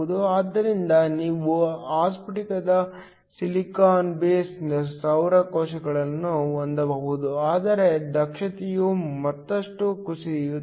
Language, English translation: Kannada, So, you can have amorphous silicon base solar cells, but the efficiency will drop even further